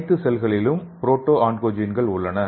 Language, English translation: Tamil, All the cells will be having proto oncogenes